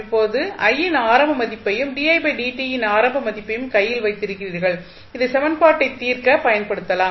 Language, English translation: Tamil, So, now you have the initial value of I and initial value of di by dt in your hand which you can utilize to solve the equation